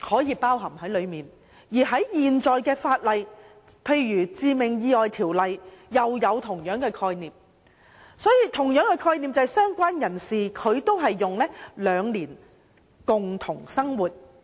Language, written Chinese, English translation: Cantonese, 而在現行的法例內，如《致命意外條例》，亦有相同的概念，即"相關人士"定義為共同生活最少兩年。, Under the existing legislation such as the Fatal Accidents Ordinance there is a similar concept whereby related person is defined as a person who had lived with the deceased for at least two years